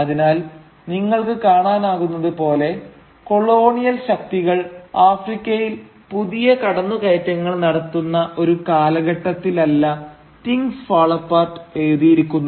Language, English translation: Malayalam, So, as you can see Things Fall Apart was written not at a time when colonial forces were making fresh inroads in Africa